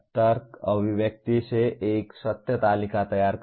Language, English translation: Hindi, Preparing a truth table from logic expression